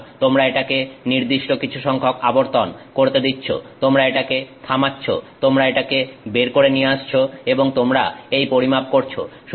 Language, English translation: Bengali, So, you allow it to run for some number of revolutions, you halt, you take it out and you make this measurement